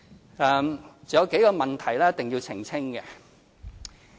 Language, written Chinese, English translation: Cantonese, 還有數個問題一定要澄清。, I still need to clarify a few issues